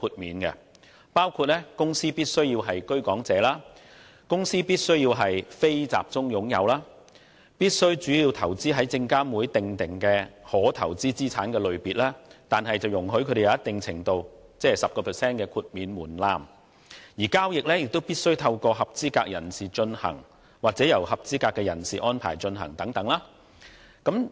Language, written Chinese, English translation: Cantonese, 此等條件包括：有關公司必須是居港者；必須為"非集中擁有"；必須主要投資於證券及期貨事務監察委員會訂明的可投資資產類別，但可享有一定程度的靈活性，即 10% 的最低額豁免門檻，以及；交易必須透過合資格人士進行或由合資格人士安排進行等。, These conditions include the OFC must be a Hong Kong resident person; it must be non - closely held NCH; it must invest mainly in permissible asset classes specified by the Securities and Futures Commission but with a degree of flexibility ie . the 10 % de minimis limit; and the transactions concerned must be carried out or arranged by a qualified person